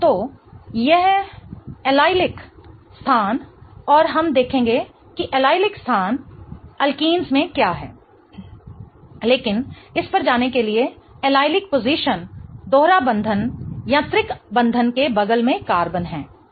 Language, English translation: Hindi, And we'll look at what allelic positions are in alkenes, but to go over it, allelic positions are the carbons next to a double bond or a triple bond right